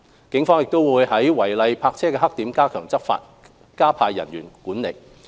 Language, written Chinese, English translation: Cantonese, 警方亦會在違例泊車的黑點加強執法，加派人員執行管制。, The Police also steps up enforcement action at illegal parking blackspots and deploys more manpower to enhance control